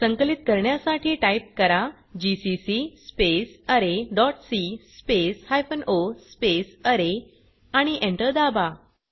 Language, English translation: Marathi, To compile type, gcc space array dot c space hypen o array and press Enter